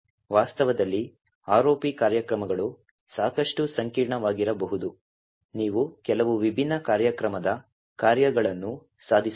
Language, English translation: Kannada, In reality ROP programs can be quite complex you can achieve quite a few different program functionalities